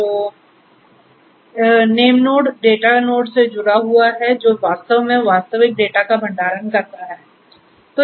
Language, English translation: Hindi, So, name nodes are connected to the data nodes which are actually the once where the storage of the actual data is done